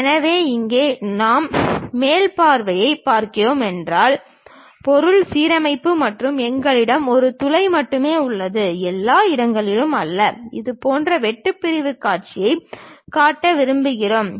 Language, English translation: Tamil, So, here if we are looking the top view, object symmetric and we have hole only on one side, not everywhere and we would like to show such kind of cut sectional view